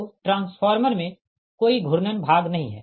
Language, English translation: Hindi, so there is no, no rotating part in the transformer